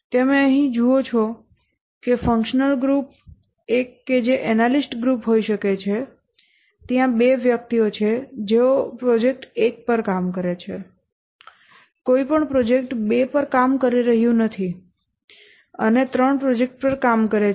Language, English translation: Gujarati, Just see here that the functional group one, which may be the analyst group, there are two persons working on project one, no one is working on project two and three working on project three